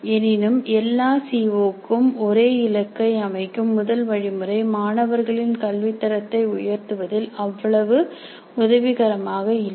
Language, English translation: Tamil, However the first method of setting the same target for the all COs really is not much of much use in terms of improving the quality of learning by the students